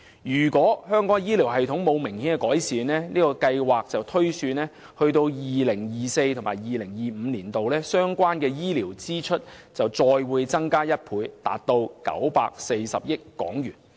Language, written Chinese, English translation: Cantonese, 據這項調查推算，倘若香港的醫療體系沒有明顯改善，至 2024-2025 年度，相關的醫療支出將再增加1倍至940億港元。, The figure is projected to rise even further and more than double to over 94 billion by 2024 - 2025 if no major improvements in the health care system are put in place